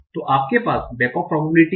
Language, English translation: Hindi, So you have the back of probability for this